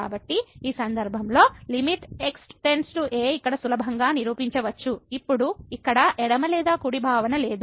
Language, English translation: Telugu, So, in this case also one can easily prove that limit goes to a now there is no left or right concept here